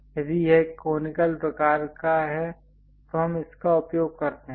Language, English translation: Hindi, If it is conical kind of taper we use this one